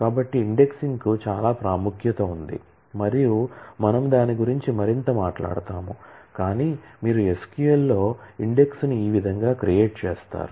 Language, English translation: Telugu, So, indexing has a lot of importance and we will talk about that more, but this is how you create index in SQL